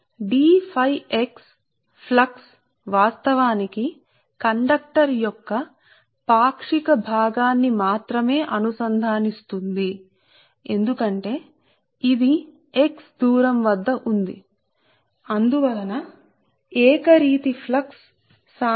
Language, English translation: Telugu, so the flux d phi x actually links only the fraction of the conductor because it is at a distance x, right, it is at a distance x only